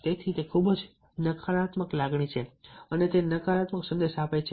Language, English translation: Gujarati, so it gives a very negative feeling, negative message